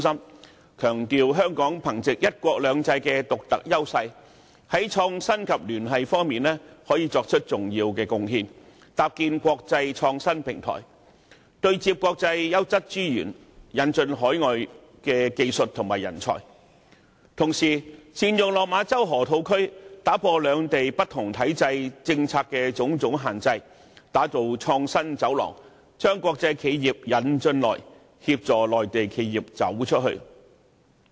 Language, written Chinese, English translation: Cantonese, 有關建議強調香港可藉"一國兩制"的獨特優勢，在創新及聯繫方面作出重要貢獻，搭建國際創新平台，對接國際優質資源，引進海外技術和人才，同時，透過善用落馬洲河套區，打破兩地不同體制、政策的種種限制，打造創新走廊，將國際企業"引進來"，協助內地企業"走出去"。, The proposal emphasizes that with its unique advantage under one country two systems Hong Kong can contribute significantly to innovation in the Bay Area and also to the networking necessary for forging an international platform of innovation―a platform which can interface with quality resources from the world over and introduce foreign technologies and talents . At the same time the proposal also urges on the use of the Lok Ma Chau Loop as a means of removing the various constraints imposed by the differences between the two places in their systems and policies . That way a corridor of innovation can be developed to bring in international enterprises and assist Mainland enterprises in going global